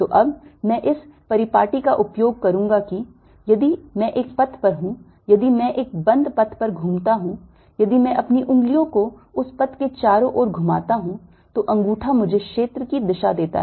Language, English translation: Hindi, so now i am going to use this convention that if i on a path, if i curl on a closed path, if i curl my fingers around the path, the thumb gives me the direction of the area